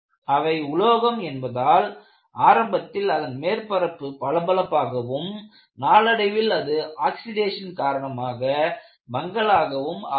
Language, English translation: Tamil, Though, the surfaces initially are shiny, in the case of metals, the surfaces become dull, due to oxidation